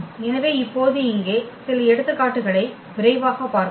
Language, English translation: Tamil, So, now let us just quickly go through some examples here